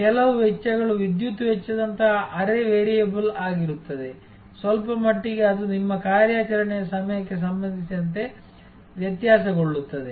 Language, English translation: Kannada, There will be some of the costs are semi variable like the electricity cost, to some extent it will be variable with respect to your hours of operation and so on